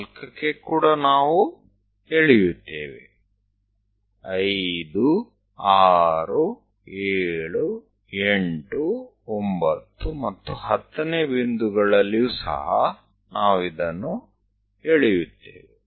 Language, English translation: Kannada, At 4 also we will draw, 5, 6, 7, 8, 9 and 10 points also we will draw